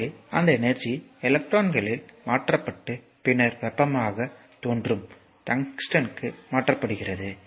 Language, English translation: Tamil, So, that energy is transformed in the electrons and then to the tungsten where it appears as the heat